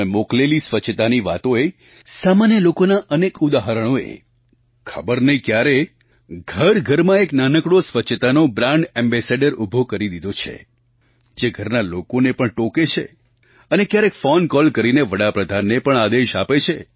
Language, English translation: Gujarati, The stories that you've sent across in the context of cleanliness, myriad examples of common folk… you never know where a tiny brand ambassador of cleanliness comes into being in various homes; someone who reprimands elders at home; or even admonishingly orders the Prime Minister through a phone call